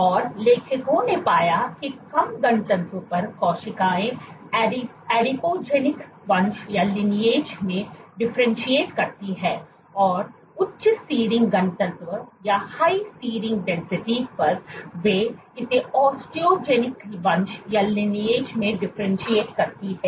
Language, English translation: Hindi, And what the authors discovered was at low density, the cells tended to differentiate into an Adipogenic Lineage, and on high seeding density they differentiate it into an Osteogenic Lineage